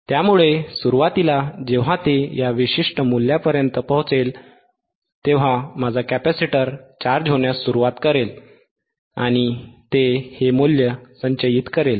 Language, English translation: Marathi, sSo initially, when it reaches to this particular value, right my capacitor will start charging and it will store this value